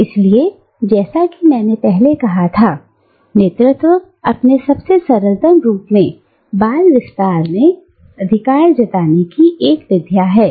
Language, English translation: Hindi, So, as I said earlier, Hegemony in its simplest form, is actually a mode of asserting authority